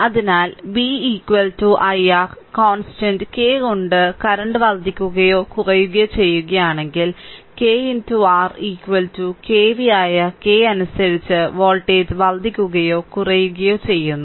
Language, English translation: Malayalam, So, v is equal to i R, if the current is increased or if bracket I have written down or decrease by constant k, then voltage increases or decreases correspondingly by k that is ki into R is equal to kv